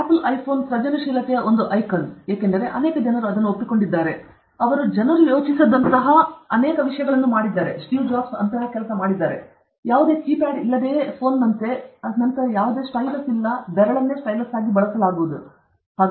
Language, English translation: Kannada, Apple iPhone is an icon of creativity because many people accept it, whatever they said, because they did something, they did many things, which are unthinkable like a phone without any keypad, and then there is no stylus, the finger will be used as a stylus